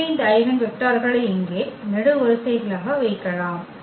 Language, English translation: Tamil, So, placing these eigenvectors here as the columns